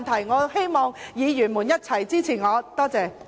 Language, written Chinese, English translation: Cantonese, 我希望議員一起支持我，多謝。, I wish all fellow Members will support me